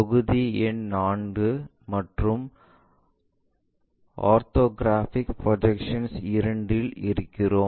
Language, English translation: Tamil, We are in module number 4, Orthographic Projections II